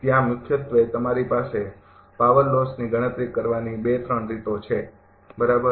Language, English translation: Gujarati, There are mainly your 2, 3 ways of computing power losses, right